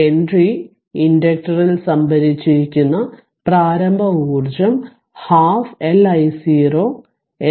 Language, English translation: Malayalam, 5 Henry inductor is half L i 0 L 0 square